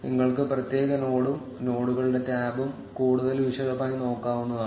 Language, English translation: Malayalam, And you can look at the particular node in more detail and the nodes tab